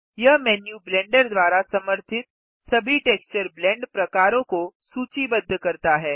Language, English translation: Hindi, This menu lists all the texture Blend types supported by Blender